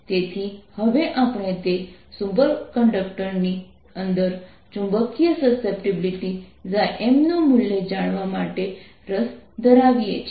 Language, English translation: Gujarati, so now we are interested to know the value of magnetic susceptibility, chi, m, inside that superconductor